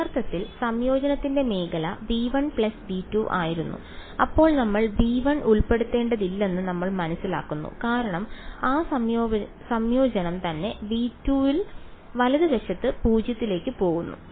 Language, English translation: Malayalam, It was in the originally the region of integration was v 1 plus v 2 then we realise we do not need to also include v 1 because that integrand is itself go into 0 outside v 2 right